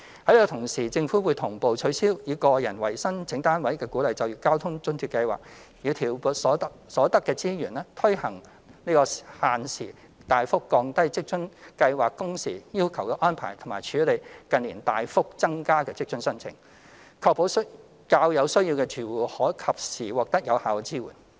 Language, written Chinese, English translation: Cantonese, 與此同時，政府會同步取消以個人為申請單位的鼓勵就業交通津貼計劃，以調撥所得的資源，推行限時大幅降低職津計劃工時要求的安排和處理近年大幅增加的職津申請，確保較有需要的住戶可及時獲得有效的支援。, Meanwhile the Government will concurrently abolish the Individual - based Work Incentive Transport Subsidy Scheme and redeploy the resources to implement the arrangement concerning the substantial reduction on working hour requirements of WFA Scheme and cope with the significant increase of WFA applications in recent years so as to ensure that households in greater need will receive timely and effective support